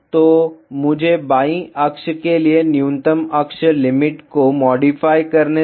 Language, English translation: Hindi, So, let me modify the axis limits minimum for the left axis